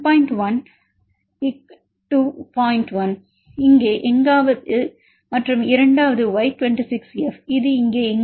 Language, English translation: Tamil, 1 somewhere here and the second one Y26F, this is 0